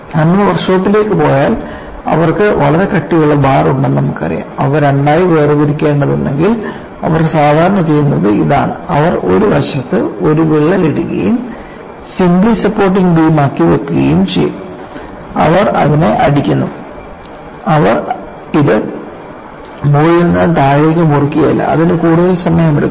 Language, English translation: Malayalam, And if you go to the workshop, if they have a very thick bar, if they have to separate into two, what they will normally do is they will put a crack on one side and put it as a beam under simply supported conditions, and they go and hit it; they do not go and cut this from top to bottom; that will take longer time